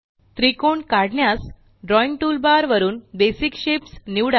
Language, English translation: Marathi, To draw a triangle, select Basic shapes from the Drawing toolbar